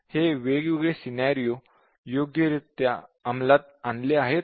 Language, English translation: Marathi, So, whether this scenario is correctly implemented